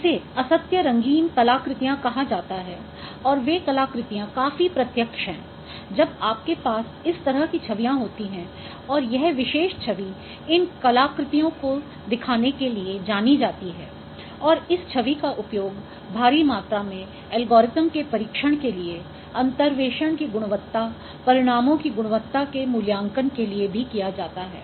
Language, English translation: Hindi, So, this is called the false color artifacts and those artifacts are quite visible when you have this kind of images and this particular image is known for showing these artifacts and this image is also heavily used for testing algorithms for evaluating their quality of interpolation